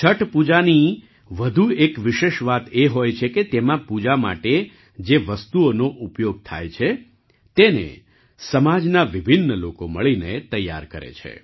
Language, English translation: Gujarati, Another special thing about Chhath Puja is that the items used for worship are prepared by myriad people of the society together